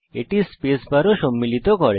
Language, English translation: Bengali, It also contains the space bar